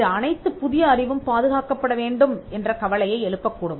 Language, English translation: Tamil, Now, that may raise a concern that should all new knowledge be protected